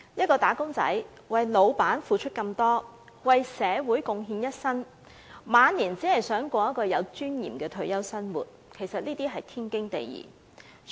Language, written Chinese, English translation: Cantonese, 僱員為僱主付出那麼多，為社會貢獻一生，期望退休後能有尊嚴地生活，實是天經地義的事。, It is actually right and proper for employees having done much for their employers and made lifelong contribution to society to expect a retirement life in dignity